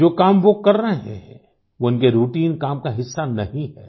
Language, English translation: Hindi, The tasks they are performing is not part of their routine work